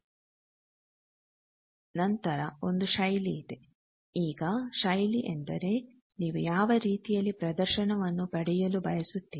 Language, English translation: Kannada, Then there is a format now format means in each way you want to get the display